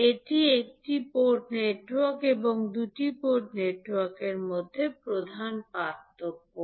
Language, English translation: Bengali, So, this is the major difference between one port network and two port network